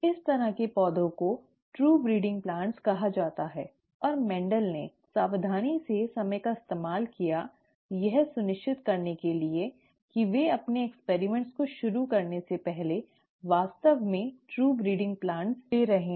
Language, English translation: Hindi, Such plants are called true breeding plants and Mendel was careful to spend the time to achieve true, to make sure that they were indeed true breeding plants before he started out his experiments